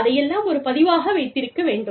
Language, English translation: Tamil, And, all of that has to be, kept a record of